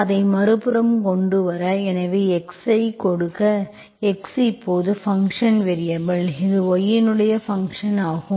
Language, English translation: Tamil, You bring it the other side, so this will give me x, x is now dependent variable, it is a function of y